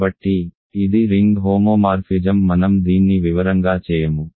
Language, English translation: Telugu, So, this is ring homomorphism I will not do this in detail